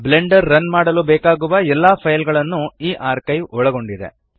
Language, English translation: Kannada, This archive contains all files required to run Blender